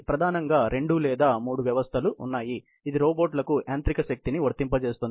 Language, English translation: Telugu, Mainly two system or three systems are there, which applies the mechanical power to the robots